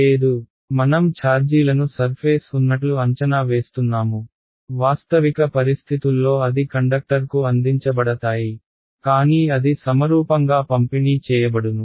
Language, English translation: Telugu, No, we are approximating the charges to be a on the surface, in a realistic situation they will be smeared all over the surface of the conductor right, but they will be symmetrically distributed